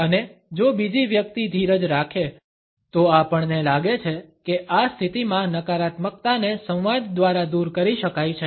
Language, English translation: Gujarati, And if the other person is patient, we feel that the negativity can be taken away in this position through dialogue